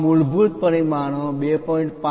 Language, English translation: Gujarati, These basic dimensions 2